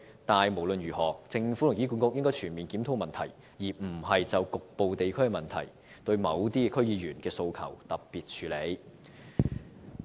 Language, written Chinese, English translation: Cantonese, 但無論如何，政府和醫管局應全面檢討問題，而非就局部地區的問題對某些區議員的訴求作特別處理。, But no matter what the Government and HA should fully examine the issue instead of according special treatment to certain District Council members aspirations in respect of localized problems